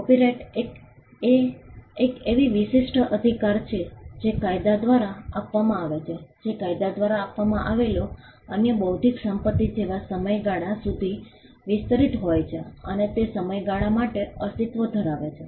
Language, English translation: Gujarati, The copyright is an exclusive right which is given by the law which extends to a period of time, like any other intellectual property right that is granted by the law and it exist for a period of time